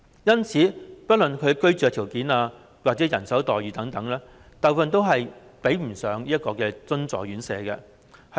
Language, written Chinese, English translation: Cantonese, 因此，不論是居住條件或人手待遇等，大部分都及不上津助院舍。, Therefore most of them are inferior to their subsidized counterparts in terms of living conditions or staffing